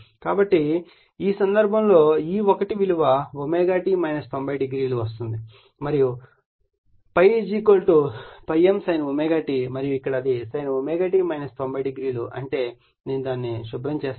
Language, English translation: Telugu, So, in this case that E1 = is coming omega t minus 90 degree and; that means, ∅ = ∅ m sin omega t and here it is sin omega t minus 90 degree that means so, I am clearing it right